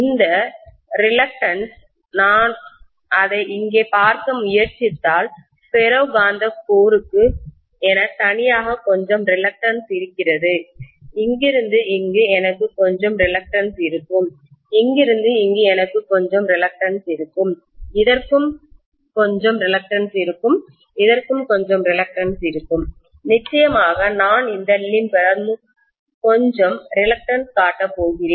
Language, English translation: Tamil, And this reluctance if I try to look at it here, I have some reluctance for the ferromagnetic core alone, from here to here I will have some reluctance, from here to here I will have some reluctance, I will also have some reluctance for this, I will have some reluctance for this, of course I am going to have some reluctance for this limb as well